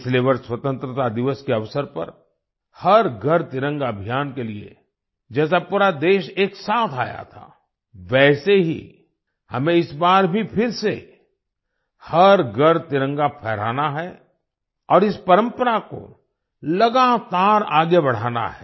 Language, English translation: Hindi, Last year on the occasion of Independence Day, the whole country came together for 'Har GharTiranga Abhiyan',… similarly this time too we have to hoist the Tricolor at every house, and continue this tradition